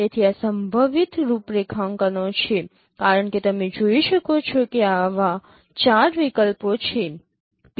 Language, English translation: Gujarati, So these are the possible configurations as you can see there are four such options are there